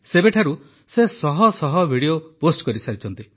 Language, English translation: Odia, Since then, he has posted hundreds of videos